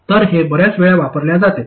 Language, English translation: Marathi, So, this is used many times